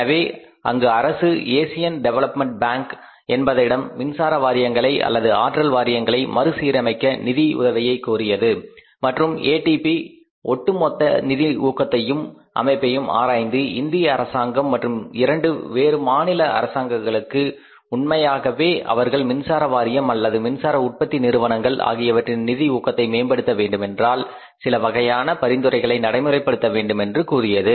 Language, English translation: Tamil, So, there government approached ADB, Asian Development Bank for the financial aid for restructuring these electricity boards or the power boards and when the ADB studied the overall financial health and structure of these boards, they suggested to the government of India as well as to different state governments that if you want to improve, really improve the health of these boards or these electricity generating companies, then you have to do one thing that you have to create different responsibility centres in the country with regard to the power sector